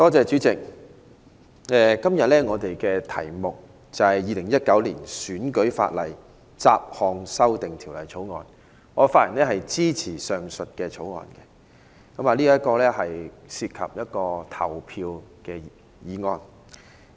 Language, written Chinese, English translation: Cantonese, 主席，今天是討論《2019年選舉法例條例草案》，我發言支持《條例草案》。這是一項涉及投票的法案。, President todays discussion is on the Electoral Legislation Bill 2019 the Bill and I speak in support of the Bill which is related to voting